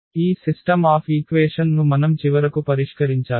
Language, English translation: Telugu, So, we need to solve finally, this system of equations